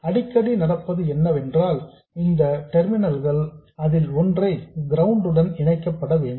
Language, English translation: Tamil, Very frequently what happens is that one of the terminals of this, this terminal has to be connected to ground